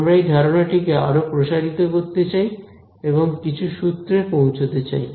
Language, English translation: Bengali, We want to extend this idea and sort of formulize it a little bit more